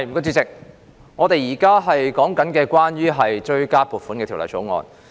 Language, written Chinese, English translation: Cantonese, 主席，我們現在討論的是《追加撥款條例草案》。, President we are now discussing the Supplementary Appropriation 2019 - 2020 Bill the Bill